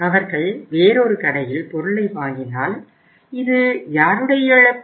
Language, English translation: Tamil, If they buy item at another store look whose loss it is